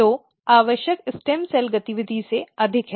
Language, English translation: Hindi, So, there is more than the required stem cells activity